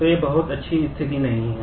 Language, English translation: Hindi, So, this is not a very good situation